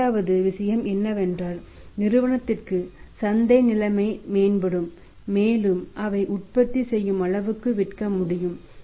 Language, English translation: Tamil, Second thing is that say market situation will improve for the firm and they will be able to sell as much as their producing